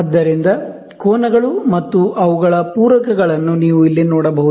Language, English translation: Kannada, So, the angles and their supplements, you can see here